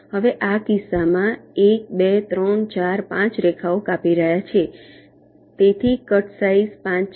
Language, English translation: Gujarati, now, in this case it is one, two, three, four, five lines are cutting, so cut size is five